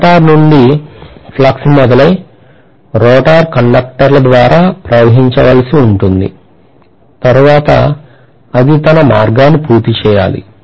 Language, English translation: Telugu, From the stator, the flux has to flow through the rotor conductors and then it should complete the path